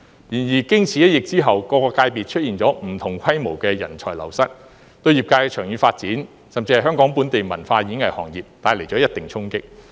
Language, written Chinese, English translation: Cantonese, 然而，經此一疫後，各界別出現了不同規模的人才流失，對業界的長遠發展甚至香港本地文化和演藝行業帶來一定的衝擊。, However the epidemic has led to a brain drain of different scales in these sectors which will have a certain impact on the long - term development of the industry as well as the local culture and performing arts industry in Hong Kong